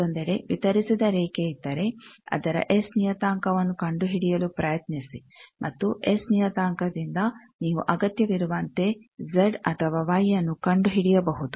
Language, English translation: Kannada, On the other hand, if there is a distributed line then try to find its S parameter and from S parameter you can come to Z or Y as required